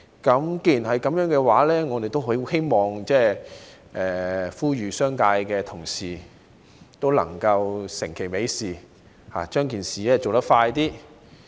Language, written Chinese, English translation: Cantonese, 既然如此，我希望呼籲商界同事能夠成其美事，盡快完成這件事。, In that case I wish to implore the Honourable colleagues from the business sector to make this good thing happen as soon as possible